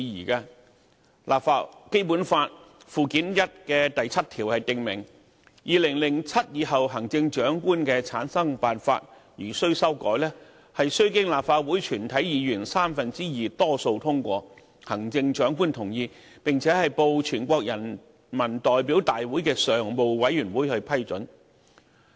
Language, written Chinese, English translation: Cantonese, 《基本法》附件一的第七條訂明，"二○○七年以後各任行政長官的產生辦法如需修改，須經立法會全體議員三分之二多數通過，行政長官同意，並報全國人民代表大會常務委員會批准。, Article 7 of Annex I of the Basic Law provides that [i]f there is a need to amend the method for selecting the Chief Executives for the terms subsequent to the year 2007 such amendments must be made with the endorsement of a two - thirds majority of all the members of the Legislative Council and the consent of the Chief Executive and they shall be reported to the Standing Committee of the National Peoples Congress for approval